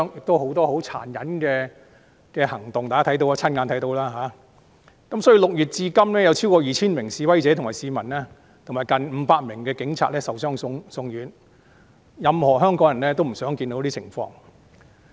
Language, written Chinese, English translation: Cantonese, 大家都親眼看過這等十分殘忍的行為，所以6月至今有超過 2,000 名示威者及市民，以及近500名警察受傷送院，這是所有香港人都不想看到的情況。, Members have seen these cruel acts . Over 2 000 protesters and members of the public as well as close to 500 police officers have been injured and sent to hospitals since June . No one in Hong Kong would like to see these scenes